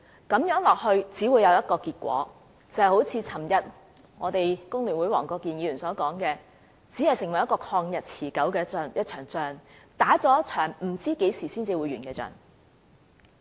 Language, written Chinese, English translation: Cantonese, 如此下去只會有一個結果，就是正如昨天工聯會黃國健議員所說，使它成為了一場曠日持久的仗，是一場不知道何時才會完結的仗。, If this situation persists there will be only one outcome . As FTUs Mr WONG Kwok - kin said yesterday it would become a protracted war a war that we never know when it would end . Therefore we will not support Mr LEUNG Che - cheungs amendment